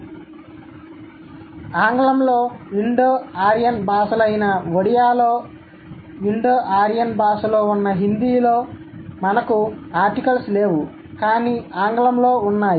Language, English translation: Telugu, So in English, Odea for that matter, which is an Indo Aryan language, Hindi which is an Indo Aorean language, we don't have articles, but English does have